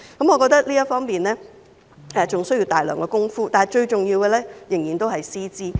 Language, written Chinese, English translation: Cantonese, 我覺得這方面還需要大量工夫，但最重要的仍然是師資。, I believe that much work is still needed in this area but what matters most are still teacher qualifications